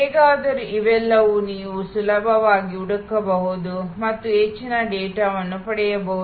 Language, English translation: Kannada, Anyway these are all terminologies that you can easily search and get much more data on